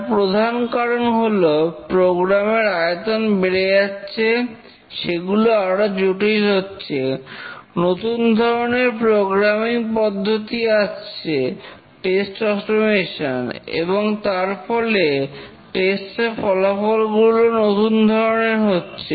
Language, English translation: Bengali, The main reasons are larger and more complex programs, newer programming paradigms, test automation and also new testing results